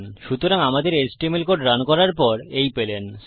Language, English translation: Bengali, So you have got that after running our html code